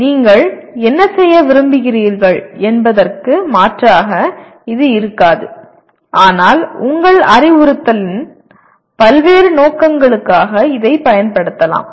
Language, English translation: Tamil, It does not substitute for what you want to do, but you can use it for variety of purposes in your instruction